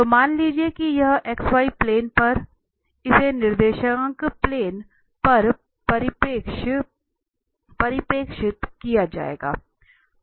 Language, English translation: Hindi, So, suppose here on this x y plane, so not the coordinate axis it will be projected on the coordinate planes